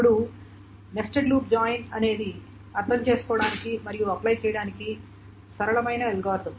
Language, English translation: Telugu, Now nested loop join is the simplest algorithm to understand and to apply